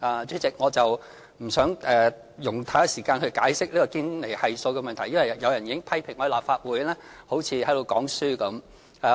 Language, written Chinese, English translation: Cantonese, 主席，我不想用太多時間解釋堅尼系數的問題，因為有人已經批評我在立法會好像在講課般。, President I do not intend to spend too much time explaining the Gini Coefficient for I have been criticized for giving lectures in the Legislative Council